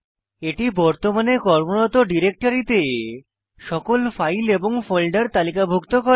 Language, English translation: Bengali, You can see it lists all the files and folders in the current working directory